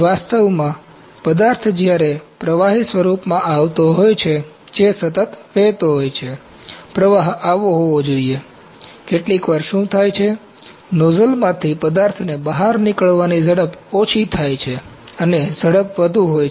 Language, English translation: Gujarati, Actually, the material when it is coming in the liquid form that has to flow continuously, the flow has to be like this, materials flowing like this sometimes what happens, the speed of the ejection of the material from the nozzle is lower and the speed is higher